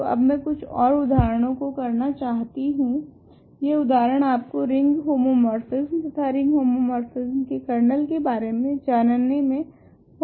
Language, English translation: Hindi, So, now, I want to do some more examples, these examples also are suppose to help you with understanding ring homomorphism and kernels of ring homomorphism ok